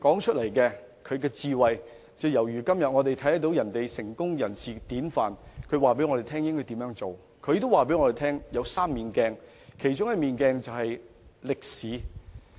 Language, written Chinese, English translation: Cantonese, 他的智慧和說話，猶如我們今天社會上成功人士的典範；他也說做人處世有3面鏡，其中一面鏡就是歷史。, Even to this day his intelligence and words of wisdom are still exemplary similar to the models set by successful people in the present society . When contemplating how to conduct himself Tang Taizong also said he would make reference to three mirrors and one of which is history